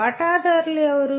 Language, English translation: Telugu, Who are the stakeholders